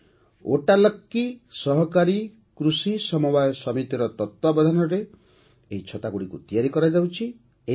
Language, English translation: Odia, These umbrellas are made under the supervision of ‘Vattalakki Cooperative Farming Society’